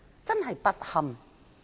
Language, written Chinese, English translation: Cantonese, 真是不堪！, That is absolutely shameful